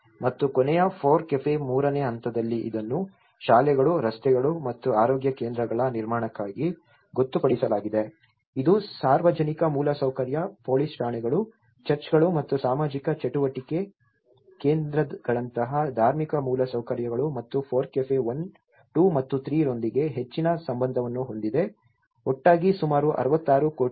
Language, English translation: Kannada, And, in the last FORECAFE third stage it was designated for construction of schools, roads and health care centres, which has more to do with the public infrastructure, police stations, religious infrastructure like churches and social activity centres and FORECAFE 1, 2 and 3 together it talks about 66 crores rupees